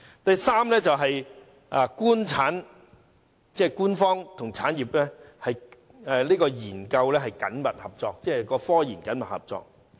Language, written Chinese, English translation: Cantonese, 第三方面，是官方和產業研究緊密合作，即科研緊密合作。, Third they focus on the close cooperation between the Government and industries in technology development and research efforts